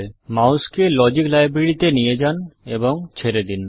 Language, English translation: Bengali, Move the mouse to the Logic library and release the mouse